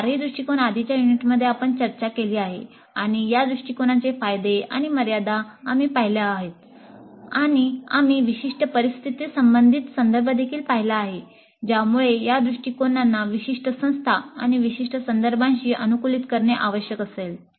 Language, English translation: Marathi, All these four approaches we have discussed in the earlier units and we saw the advantages and limitations of these approaches and we also looked at the specific situational context which will necessiate adapting these approaches to specific institutes and specific contexts